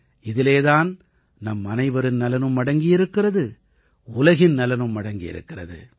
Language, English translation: Tamil, In this lies the interests of all of us ; interests of the world